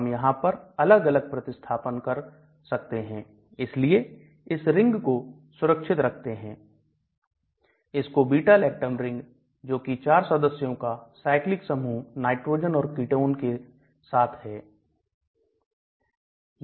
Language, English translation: Hindi, We can have different substitutions here, here, but this particular ring is kept intact that is called the beta lactam ring, 4 member cyclic with a nitrogen and a ketone